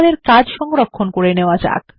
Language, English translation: Bengali, Let us save our work